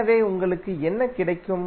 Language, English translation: Tamil, So what you get